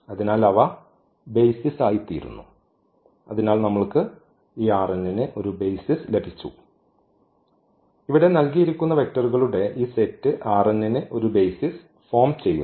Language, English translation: Malayalam, So, they form the basis so, we got a basis for this R n, this set of vectors here this forms a basis for R n